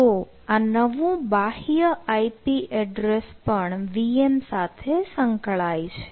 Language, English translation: Gujarati, yeah, so this new external i p address is also associated with the v m